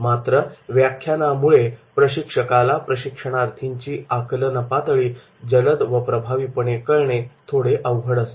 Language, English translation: Marathi, Lectures also make it difficult for the trainer to judge quickly and efficiently the learner's level of understanding